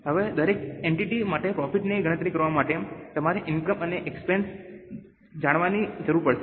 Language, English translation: Gujarati, Now, for every entity to calculate the profit you will need to know the incomes and expenses